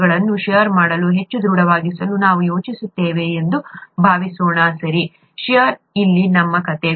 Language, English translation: Kannada, Suppose we think of making the cells more robust to shear, okay, shear is our story here